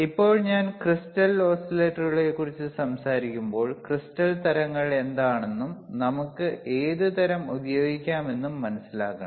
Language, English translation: Malayalam, Now, when I talk about crystal oscillators, we should understand what are the crystal types are and we have to understand right, then only we can see which type we can use it